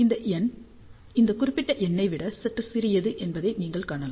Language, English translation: Tamil, You can see that this number is slightly smaller than this particular number here